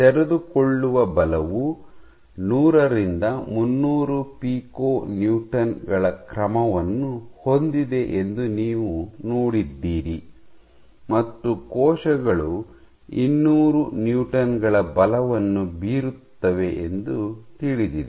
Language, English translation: Kannada, So, you have seen that unfolding forces, have magnitude order let us say 100 to 300 pico Newtons, and it is known that cells can exert forces order 200 pico Newtons